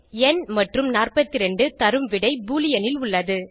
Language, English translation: Tamil, In this case n and 42 and gives the result in Boolean